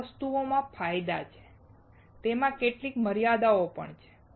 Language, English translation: Gujarati, Everything that has advantages would also have some limitations